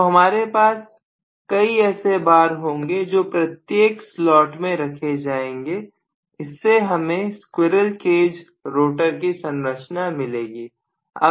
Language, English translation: Hindi, So I am going to have several bars put along every slot so I am going to have essentially this as the structure of the squirrel cage rotor